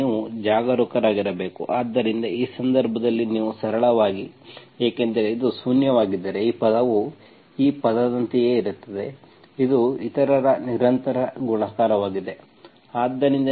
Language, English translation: Kannada, So this you have to be careful, so in that case, you simply, because that means if this is zero, this term is same as this term, it is just a constant multiple of other